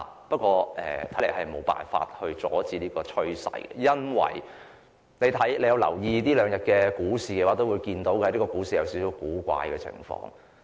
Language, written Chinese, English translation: Cantonese, 不過，看來我們無法阻止這種趨勢，因為這兩天的股市出現有點古怪的情況。, But it seems that we cannot stop this trend because the stock market has been a bit weird these two days